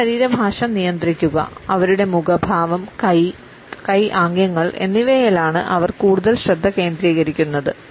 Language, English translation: Malayalam, Control their body language; they focus mostly on their facial expressions and hand and arm gestures